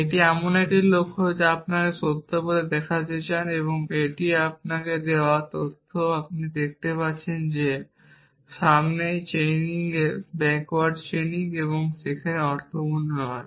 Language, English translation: Bengali, This is a goal that you want to show to be true and that is the facts given to you now you can see that forward chaining backward chaining does not make sense here